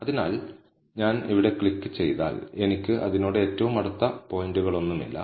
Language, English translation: Malayalam, So, if I click here, then I do not have any points closest to it